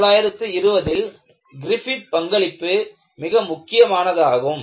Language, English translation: Tamil, So, the contribution of Griffith in 1920 was very important